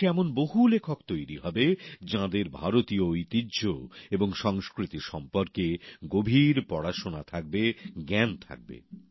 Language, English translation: Bengali, Writers who write on such subjects, who have studied deeply Indian heritage and culture, will come forth in large numbers in the country